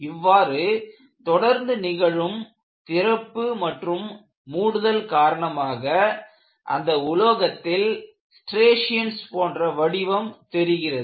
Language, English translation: Tamil, So, this opening and closing leaves the mark on the material, which appear as striations